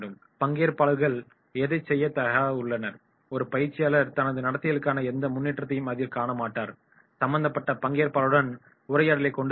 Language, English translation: Tamil, Participants are willing to do that, a trainer will find no improvement in the demand for his behaviour have a dialogue with the concerned participants